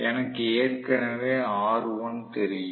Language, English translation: Tamil, I know already r1